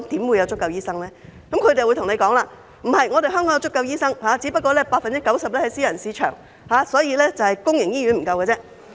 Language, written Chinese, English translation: Cantonese, 然而，他們又會告訴我，香港有足夠醫生，只不過 90% 在私人市場，所以只是公營醫院不夠醫生。, They will however maintain that there are enough doctors in Hong Kong just that 90 % of doctors are in the private sector so that the shortage is only found in public hospitals